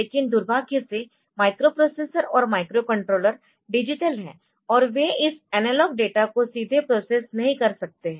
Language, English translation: Hindi, So, but unfortunately the microprocessors and the microcontrollers they are digital in nature and they cannot process this analog data directly